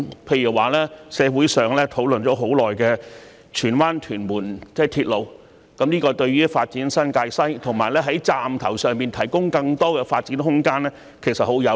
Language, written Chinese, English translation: Cantonese, 例如社會上討論已久的荃灣─屯門鐵路，這對於發展新界西和在車站上蓋提供更多發展空間是十分有利的。, An example is the Tsuen Wan―Tuen Mun railway which has long been discussed in society and it is most conducive to the development of New Territories West and to providing more space for development above the stations